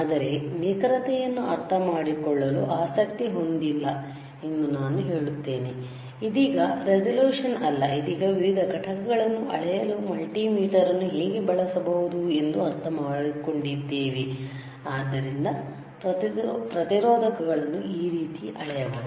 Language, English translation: Kannada, But let me tell you that we are not interested in understanding the accuracy, right now not resolution, right now we understanding that how we can use the multimeter for measuring different components, all right